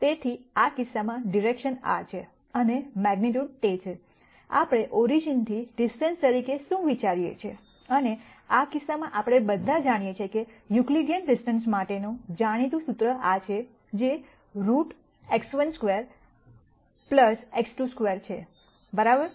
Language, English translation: Gujarati, So, in this case the direction is this and the magnitude is, what we think of as a distance from the origin and in this case we all know, this well known formula for Euclidean distance, which is root of x 1 square plus x 2 2 square right